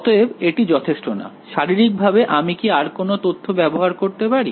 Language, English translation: Bengali, So, that is not sufficient; is there any other information that I can use physically